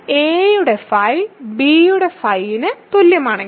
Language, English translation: Malayalam, But if phi of a is equal to phi of b